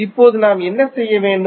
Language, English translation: Tamil, Now, what we have to do